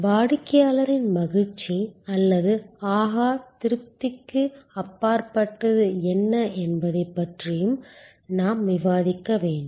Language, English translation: Tamil, We will also have to discuss about, what goes beyond satisfaction in the customer delight or wow